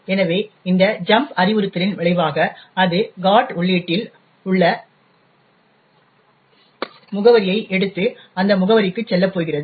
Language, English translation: Tamil, Therefore, the result of this jump instruction is that it is going to take the address present in the GOT entry and jump to that address